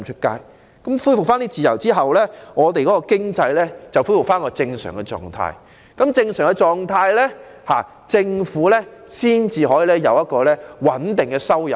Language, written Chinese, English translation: Cantonese, 在恢復這些自由後，經濟便能恢復正常狀態，而在這狀態下，政府才會有穩定的收入。, When these freedoms are restored our economy will return to normal and the government will have stable revenue